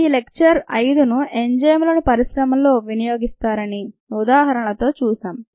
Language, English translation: Telugu, that is just examples of the use of enzymes in the industry